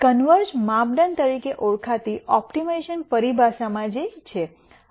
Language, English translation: Gujarati, Which is what in optimization terminology called as convergence criteria